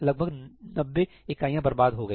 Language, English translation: Hindi, Around 90 units have gotten wasted